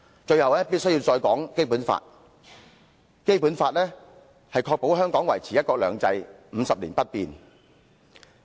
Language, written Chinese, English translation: Cantonese, 最後，我必須談談《基本法》，它確保香港維持"一國兩制 "50 年不變。, Last but not least I must talk about the Basic Law which guarantees that one country two systems in Hong Kong shall remain unchanged for 50 years